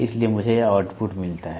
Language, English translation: Hindi, So, I get this output